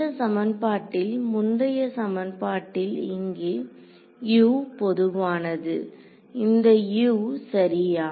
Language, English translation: Tamil, In this equation over here the previous equation over here, U was general this U right